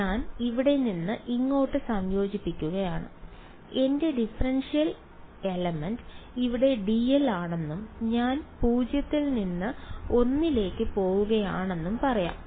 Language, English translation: Malayalam, I am integrating from here to here and let us say my differential element is d l over here and I am going from 0 to l ok